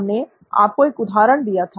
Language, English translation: Hindi, We showed you an example